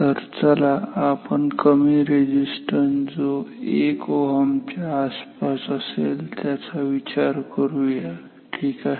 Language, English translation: Marathi, So, let us think of very small resistance may be around 1 ohm ok